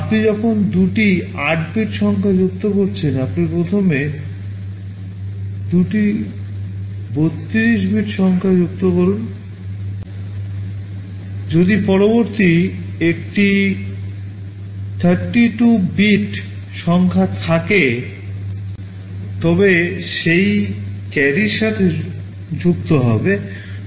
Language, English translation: Bengali, When you are adding two 64 bit numbers, you add first two 32 bit numbers, if there is a carry the next 32 bit numbers you would be adding with that carry